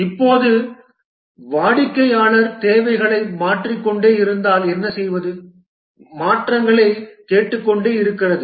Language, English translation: Tamil, Now what if the customer just keeps changing the requirements, keeps on asking for modifications and so on